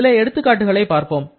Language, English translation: Tamil, Let us see some examples